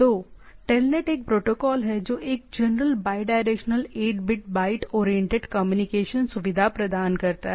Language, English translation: Hindi, So, just to show the thing to telnet is the protocol that provides a general bidirectional eight bit byte oriented communication facility